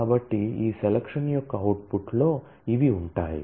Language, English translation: Telugu, So, these will feature in the output of this selection